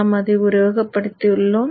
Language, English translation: Tamil, We have simulated it